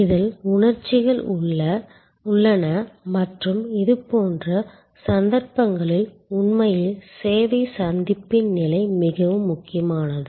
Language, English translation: Tamil, There are emotions involved and in such cases, actually the post encounter stage is as important as the service encounter stage